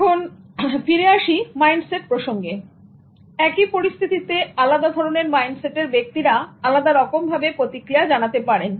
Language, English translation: Bengali, Now, back to mindset, same situation can be responded to in different ways, going to different mindsets